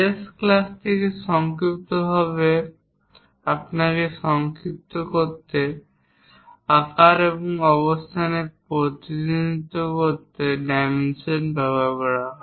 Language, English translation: Bengali, To briefly summarize you from the last classes, dimension is used to represent size and position